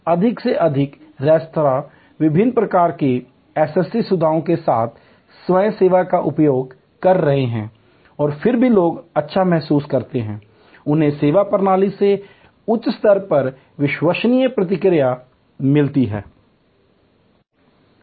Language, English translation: Hindi, More and more restaurants are using the different types of SST facilities as well as self service and yet people feel good, they get a high level of reliable response from the service system